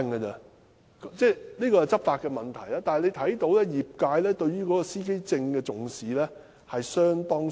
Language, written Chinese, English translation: Cantonese, 雖然這是執法問題，但可見業界對司機證不太重視。, While law enforcement has been called into question the trade has apparently not taken driver identity plates very seriously